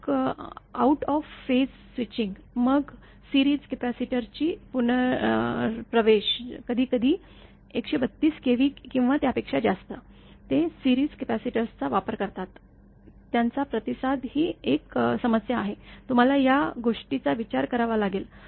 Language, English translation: Marathi, Then out of phase switching; then reinsertion of series capacitor many high tension line sometimes 132 kV or above; they use series capacitors of course, their resonance is a problem that this thing; that thing you have to consider